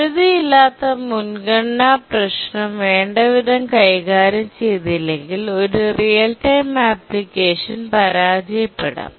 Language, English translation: Malayalam, Unless the unbounded priority problem is handled adequately, a real time application can fail